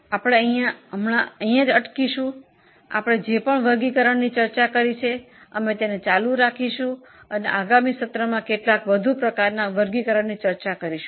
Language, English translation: Gujarati, So, here we will stop at whatever classification we have discussed and we are going to continue this and discuss some more types of classifications in the next session